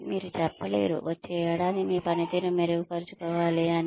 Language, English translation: Telugu, you cannot say, you should better your performance, next year